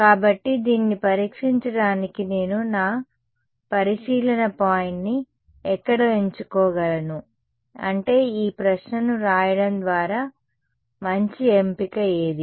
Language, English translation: Telugu, So, where can I choose my observation point to test this I mean to write this question what can be a good choice